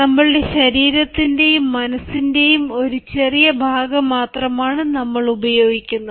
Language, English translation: Malayalam, we are making use of only a small part of our physical and mental resources